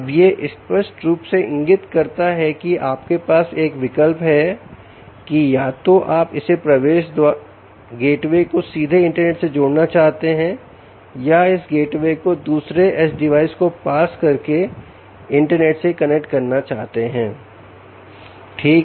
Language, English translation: Hindi, it now clearly indicates that you have a choice: whether you want to connect this gateway directly out to the internet or you want to pass the gateway to another edge device which in turn connects to the internet